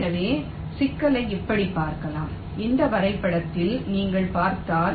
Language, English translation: Tamil, so the problem can be viewed like this in this diagram, if you see so